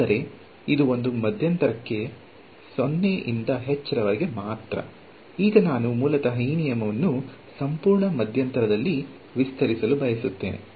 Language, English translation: Kannada, But, this was for one interval only from 0 to h; now I want to basically just extend this rule over an entire interval ok